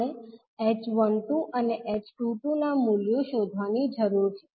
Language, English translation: Gujarati, We need to find out the values of h12 and h22